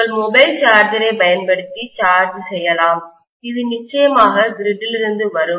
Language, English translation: Tamil, Maybe you charge it using your mobile charger which is definitely coming from the grid